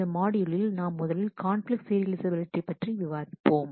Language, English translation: Tamil, In the present module we will first discuss conflict serializability